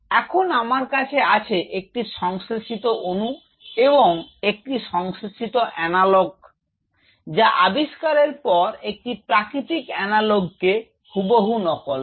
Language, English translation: Bengali, Now I have a synthetic molecule a synthetic analogue which exactly mimics a natural analogue with discovery